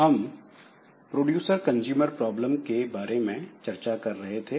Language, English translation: Hindi, So, we are discussing about this producer consumer problem